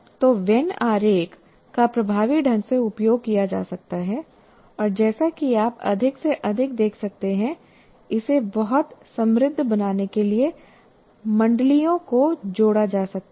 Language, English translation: Hindi, So when diagram can be used effectively and as you can see, more and more circles can be added to make it a very rich one